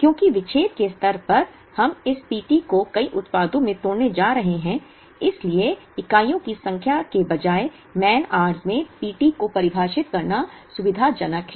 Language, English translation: Hindi, Because, at the disaggregation level we are going to break this P t into several products and therefore, it is convenient to define P t in man hours rather than in number of units